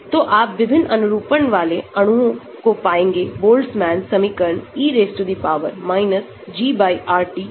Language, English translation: Hindi, So, you will find molecules with different conformation based on the Boltzmann equation e power G/RT